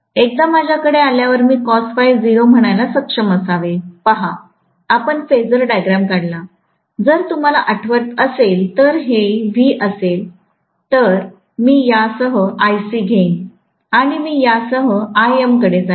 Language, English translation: Marathi, Once I have cos phi naught, I should be able to say, see, we drew the phasor diagram if you may recall, this is V, I am going to have Ic along this and I am going to have to Im along this